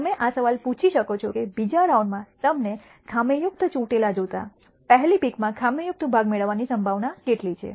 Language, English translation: Gujarati, You can ask the question, what is the probability of getting a defective part in the first pick given that you had a defective pick in the second round